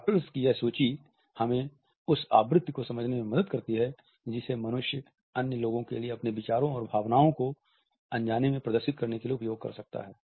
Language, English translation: Hindi, This list of adaptors, help us to understand the frequency with which human beings can use them to unconsciously display their ideas and emotions to other people